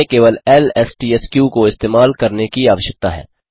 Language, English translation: Hindi, We only need to use the lstsq